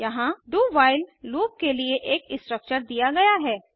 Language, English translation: Hindi, Here is the structure for do while loop